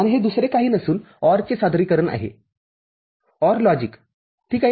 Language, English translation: Marathi, And this is nothing but OR representation, OR logic – ok